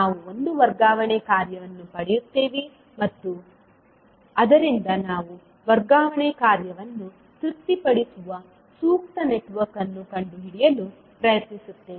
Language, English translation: Kannada, We will get one transfer function and from that we try to find out the suitable network which satisfy the transfer function